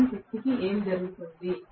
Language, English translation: Telugu, What happens to the rest of the power